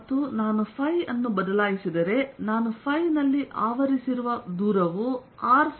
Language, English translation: Kannada, and if i change phi, the distance i cover in phi is going to be r sine theta d phi